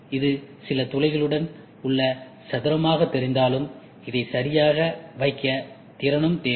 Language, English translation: Tamil, And though it looks of square with some holes, it also needs skill to place it ok